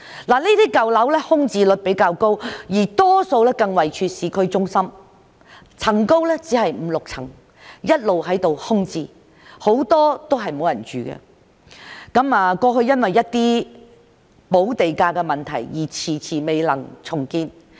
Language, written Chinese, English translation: Cantonese, 這些舊樓空置率比較高，大多數更位處市區中心，樓高只有五六層，一直空置，很多都沒有人居住，過去因為補地價的問題而遲遲未能重建。, The vacancy rate of these old buildings which are mostly located in town centre is relatively high . These buildings which are of only five or six floors high have been left vacant with no residents . The redevelopment of these buildings has been hindered by the problem of land premium payment